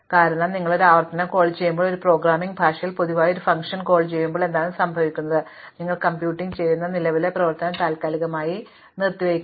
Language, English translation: Malayalam, Because, when you make a recursive call, when you make a function call in general in a programming language, what happens is the current function that you computing has to be suspended